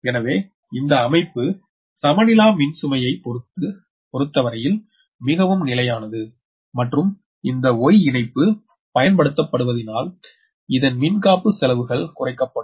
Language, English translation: Tamil, but this connection is more stable with respect to the unbalanced load and if the y connection is used on the high voltage side, insulation cost are reduced